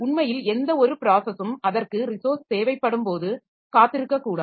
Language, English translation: Tamil, Ideally, no process should be needed to wait when it requires a resource